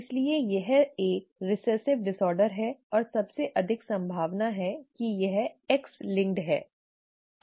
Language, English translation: Hindi, Therefore it is a recessive disorder and it is most likely X linked